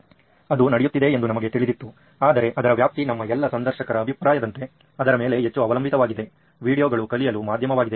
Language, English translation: Kannada, We knew that was happening but the extent to which almost all of our interviewees were of the opinion, they were hugely dependent on videos as a medium for learning